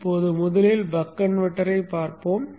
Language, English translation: Tamil, Now first let us look at the buck converter